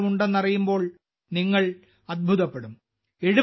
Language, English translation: Malayalam, You will be surprised to know that he also has three PhD degrees